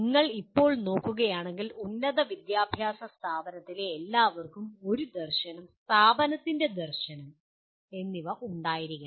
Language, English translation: Malayalam, If you look at now all in higher education institution should have a vision statement, vision of the institute